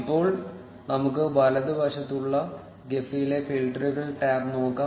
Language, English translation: Malayalam, Now, let us look at the filters tab in Gephi on the right